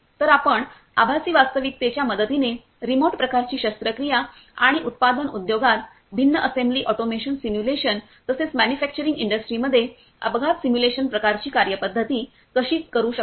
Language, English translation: Marathi, So, remote kind of surgery you can perform with the help of virtual reality and apart from that in manufacturing industry different assembly automation simulation and how to accidents accident simulation kind of thing we can perform in the manufacturing industry